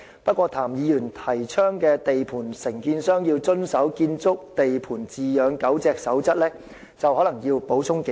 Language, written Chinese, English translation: Cantonese, 不過，對譚議員提倡的地盤承建商要遵守"建築地盤飼養狗隻守則"，我則可能要補充幾句。, I agree . However regarding Mr TAMs proposal of requiring contractors of construction sites to comply with the Code of Practice for Keeping Dogs on Construction Sites the Code I have some comments to make